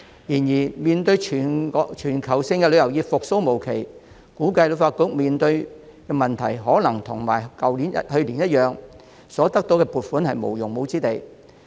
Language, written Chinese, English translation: Cantonese, 然而，面對全球旅遊業復蘇無期，我估計旅發局面對的問題可能會與去年一樣，得到的撥款無用武之地。, However as it is still uncertain when the global tourism industry will revive I guess HKTB will probably face the same situation as last year and that is nowhere to use the funding